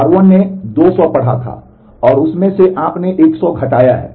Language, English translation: Hindi, R 1 had read 200, and from that you have subtracted 100